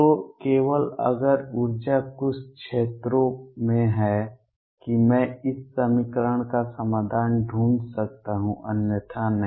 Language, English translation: Hindi, So, only if energy is in certain regions that I can find the solution for this equation, otherwise no